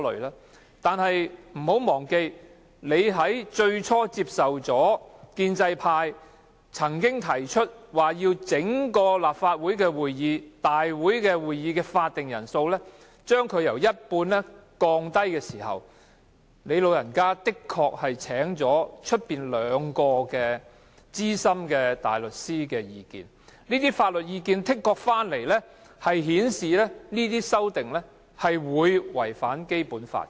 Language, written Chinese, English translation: Cantonese, 然而，可別忘記，建制派最初提出把立法會會議的法定人數由一半降低時，你確曾對外徵詢兩位資深大律師的意見，他們的意見是這些修訂的確會違反《基本法》。, However we should bear in mind that when Members of the pro - establishment camp initially proposed to lower the quorum of the Council from one half you actually consulted two external senior counsel who both formed the opinion that those amendments would indeed contravene the Basic Law